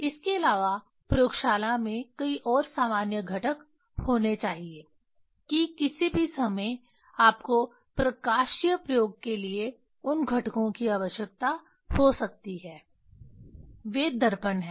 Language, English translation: Hindi, Apart from that in the laboratory there should be several, there should be common components that any times you may need those components for optical experiment, those are mirrors